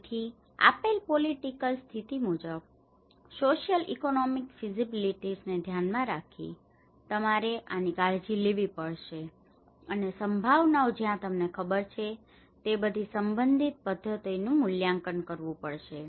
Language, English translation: Gujarati, So, as per the given political condition, given social economics feasibilities one has to take care of this and assess the all relevant methods you know where the possibilities